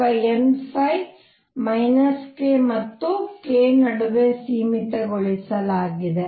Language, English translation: Kannada, Or n phi is confined between minus k and k